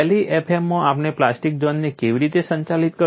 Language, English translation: Gujarati, How did we handle plastic zone in LEFM